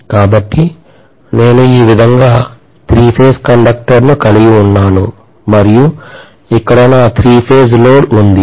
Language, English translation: Telugu, So let us say I have the three phase conductors like this and here is my three phase load